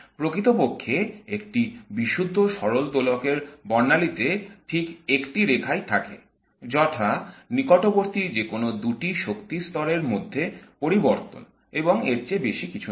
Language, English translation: Bengali, In fact if the spectrum of a pure harmonic oscillator contains exactly one line, namely the transition between any pair of nearby energy levels and nothing more than that